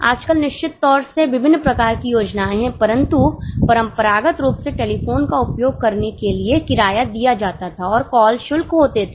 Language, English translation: Hindi, Nowadays of course there are different types of plans but traditionally telephone bill used to have a component of rent and there will be call charges